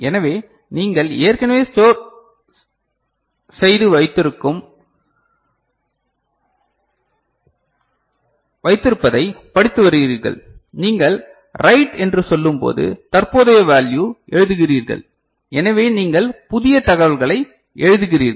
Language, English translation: Tamil, So, you are reading whatever is already stored and when you are saying write, then you are over writing the current value so, you are writing new information ok